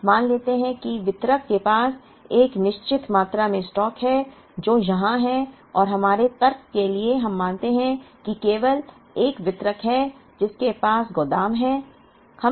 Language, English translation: Hindi, Now, let us assume that the distributor has a certain amount of stock, which is here and for the sake of our argument we assume that there is only 1 distributor, who has warehouse